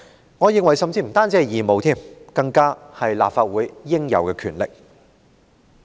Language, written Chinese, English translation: Cantonese, 我甚至認為這不單是義務，更是立法會應有的權力。, I will go so far as to say that it is not just an obligation but a power rightfully vested in the Council